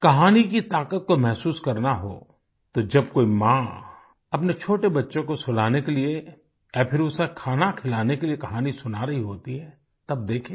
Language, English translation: Hindi, If the power of stories is to be felt, one has to just watch a mother telling a story to her little one either to lull her to sleep or while feeding her a morsel